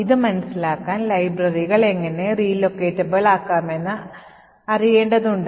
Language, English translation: Malayalam, In order to understand this, we will need to know how libraries are made relocatable